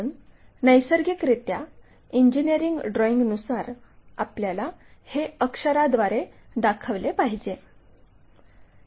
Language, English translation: Marathi, So, when we are looking at that naturally in any engineering drawing we have to represent by that letters